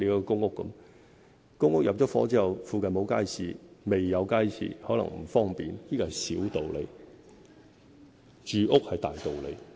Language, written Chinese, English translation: Cantonese, 公屋入伙後附近沒有街市或未有街市，可能帶來不便，但這是小道理，住屋才是大道理。, After the intake of the public housing units residents will find it inconvenient if there is no market or no market has yet been provided in the vicinity but that is a minor issue whereas housing is a major issue